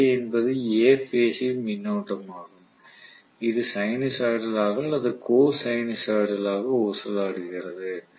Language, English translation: Tamil, Ia is A phase current which is also sinusoidally or Cosinusoidally oscillating